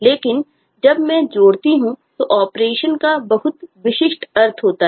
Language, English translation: Hindi, but when I add, the operation has very specific meaning